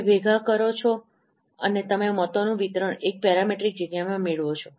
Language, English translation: Gujarati, You accumulate and you get a distribution of votes in the parameter space